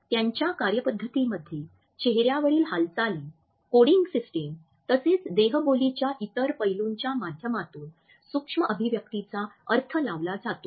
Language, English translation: Marathi, Their methodology is to interpret micro expressions through facial action, coding system as well as other aspects of body language